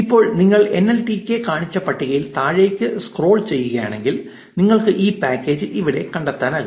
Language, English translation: Malayalam, Now, if you scroll down in the list that nltk showed you can locate this package here